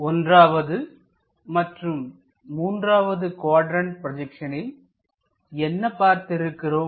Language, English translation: Tamil, In these 1st and 3rd quadrant projections, what we have seen